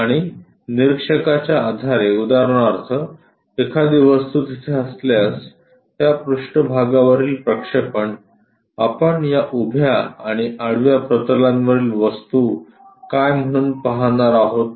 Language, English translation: Marathi, And, based on the observer for example, observer if an object is present there, the projection on to that surface, what we are going to see as the things on this vertical plane and horizontal plane